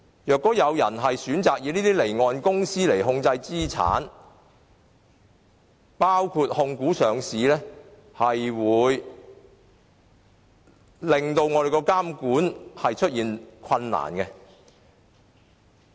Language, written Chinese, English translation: Cantonese, 如果有人以離岸公司控制資產，將會導致監管困難。, The use of off - shore companies for assets control will pose regulatory difficulties